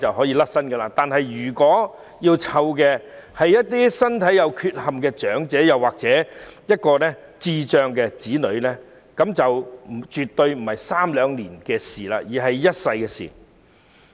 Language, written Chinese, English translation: Cantonese, 然而，當要照顧的是身體有缺陷的長者或智障子女時，那便絕對不是在三兩年間便可完成的任務，而是一輩子的事。, When it comes to taking care of physically challenged elderly people or intellectually disabled children however it certainly is not a task that can be completed in two or three years time but a mission that lasts a lifetime